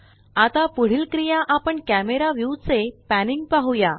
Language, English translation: Marathi, Now, the next action we shall see is panning the camera view